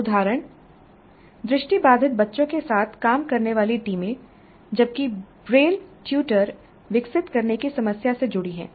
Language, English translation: Hindi, Example, teams working with visually challenged children while engaged with the problem of developing a braille tutor